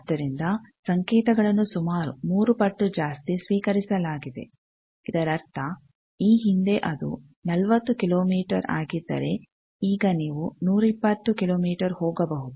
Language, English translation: Kannada, So, the signal is received about three times further so that means, if previously it was 40 kilometer, now 120 kilometer you can go